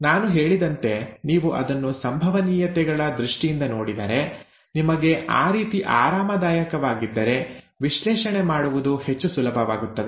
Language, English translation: Kannada, It is, as I said, if you look at it in terms of probabilities, if you are comfortable that way, then it becomes much easier to do the analysis